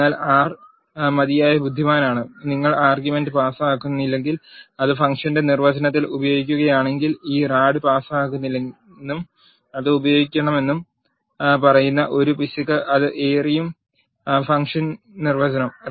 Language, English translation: Malayalam, But R is clever enough, if you do not pass the argument and then use it in the definition of the function it will throw an error saying that this rad is not passed and it is being used in the function definition